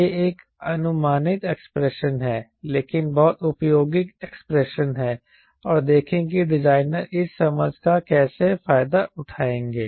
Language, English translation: Hindi, this is an approximate expression, but very, very useful expre expression and see how the designer will exploit these understanding